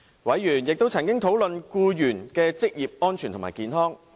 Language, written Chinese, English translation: Cantonese, 委員亦曾討論僱員的職業安全和健康。, Members discussed employees occupational safety and health